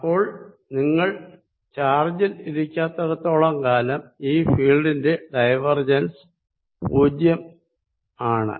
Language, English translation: Malayalam, so so as long as you are not sitting on the charge, the divergence of the field is zero